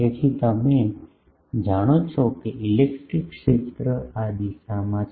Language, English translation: Gujarati, So, you know that the electric field is in this direction